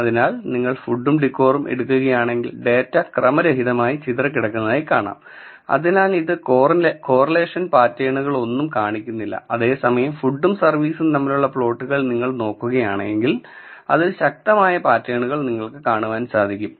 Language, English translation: Malayalam, So, if you take food versus decor the data is randomly scattered so, it does not show any correlation patterns, but whereas, if you see for food versus service you see strong patterns being exhibited here